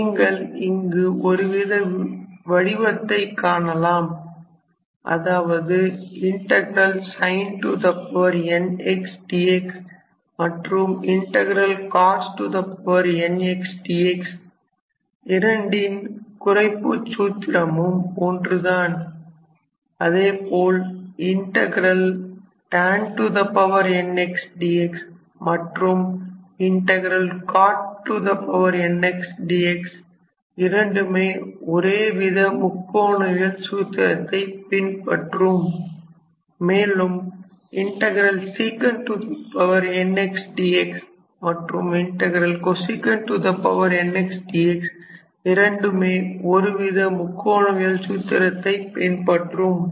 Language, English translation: Tamil, Here you can see a pattern that say sin to the power n x and cos to the power n x follows the same formula reduction formula, similarly tan x and cot x follow the same trigonometrical formula and also sec sec n x and cosec n x also follow pretty much the same trigonometrical formula